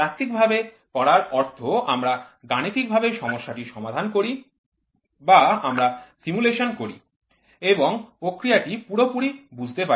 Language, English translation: Bengali, Theory is we mathematically solve the problem the mathematically we solve the problem or we do simulation and understand the process completely